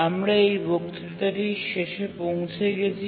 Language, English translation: Bengali, We are at the end of this lecture